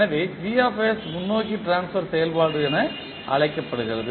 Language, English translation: Tamil, So Gs is called as forward transfer function